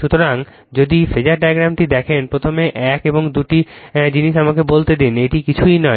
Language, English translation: Bengali, So, if you see the phasor diagram first one or two things let me tell you, this is nothing, this is nothing